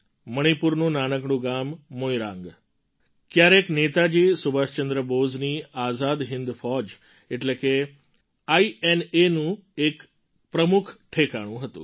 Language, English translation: Gujarati, Now, take Moirang Day, for instance…the tiny town of Moirang in Manipur was once a major base of Netaji Subhash Chandra Bose's Indian National Army, INA